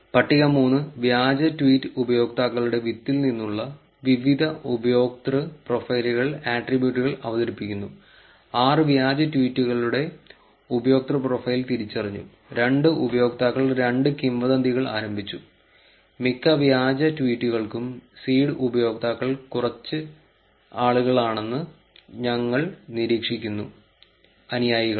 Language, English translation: Malayalam, Table 3 presents the various user profiles attributes from the seed of the fake tweet users, user profiles of the 6 fake tweets identified, 2 users had started two rumours each, for most of the fake tweets we observe that the seed users are people with few followers